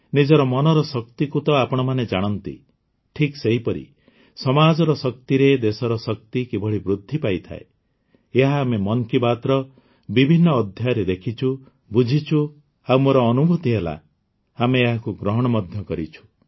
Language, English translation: Odia, You know the power of your mind… Similarly, how the might of the country increases with the strength of the society…this we have seen and understood in different episodes of 'Mann Ki Baat'